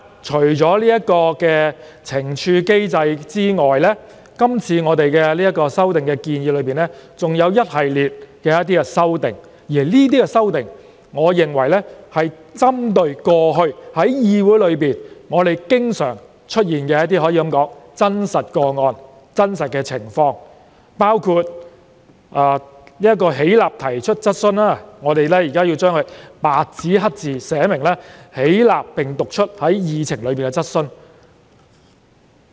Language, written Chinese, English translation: Cantonese, 除懲處機制外，是次修訂還提出了一系列修訂建議，我認為皆是針對過去議會經常出現的真實情況，包括廢除"起立提出質詢"，白紙黑字寫明"起立並讀出載於議程的質詢"。, Apart from a penalty mechanism a series of amendment proposals have also been put forth in this amendment exercise . In my view they are all aimed to address the recurrent realities of the legislature all this time . Such proposals include repealing rise in his place and ask the question and substituting it with the express wording of rise in his place and read out the question set out on the Agenda